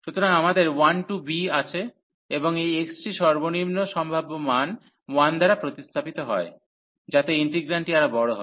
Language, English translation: Bengali, So, we have 1 to b and this x is replaced by 1 the lowest possible value, so that the integrant is the larger one